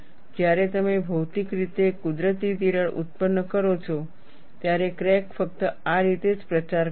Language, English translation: Gujarati, When you physically produce a natural crack, the crack would propagate only in this fashion